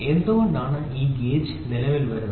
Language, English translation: Malayalam, So, why is this gauge coming into existence